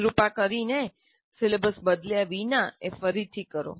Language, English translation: Gujarati, Please redo that without changing the syllabus